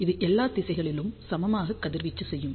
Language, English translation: Tamil, So, it will radiate equally in all the directions